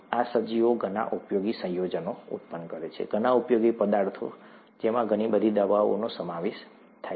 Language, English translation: Gujarati, These organisms produce many useful compounds, many useful substances, including a lot of medicines